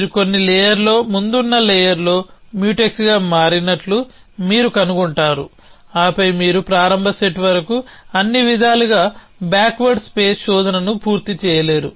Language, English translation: Telugu, You will find that at some layer some preceding layer they become Mutex and then you cannot complete backward space search all way all the way to the start set